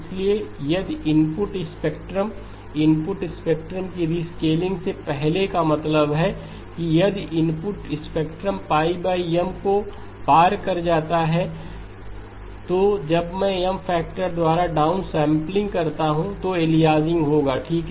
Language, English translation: Hindi, So if the input spectrum, input spectrum before rescaling means that if the input spectrum crosses pi over M then when I do downsampling by a factor of M aliasing will occur, aliasing will occur okay